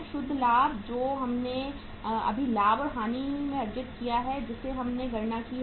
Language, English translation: Hindi, Net profit which we earned just now in the profit and loss account we have calculated